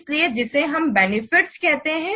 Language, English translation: Hindi, So that we call as the benefit